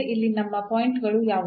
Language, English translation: Kannada, So, what are our points here